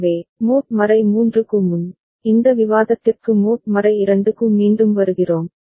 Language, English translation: Tamil, So, coming back to this discussion mod 2, before mod 3